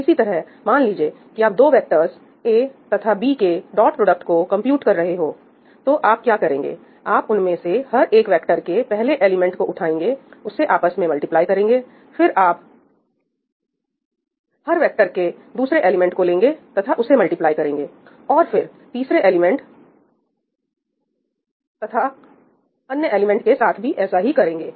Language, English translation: Hindi, So, for instance, if you are computing the dot product of 2 vectors A and B, so what do you do you pick up the first element of each of them, you multiply them together, you pick up the second elements of each of the vectors multiply them together the third elements and so on